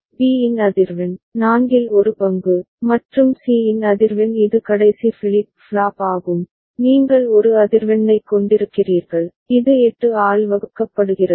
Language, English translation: Tamil, Frequency of B, one fourth, and frequency of C that is the last flip flop over here, you are having a frequency which is divided by 8